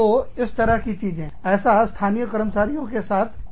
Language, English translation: Hindi, Which will not be the case, with local employees